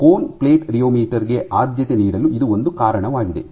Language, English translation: Kannada, This is one reason why cone plate rheometer is preferred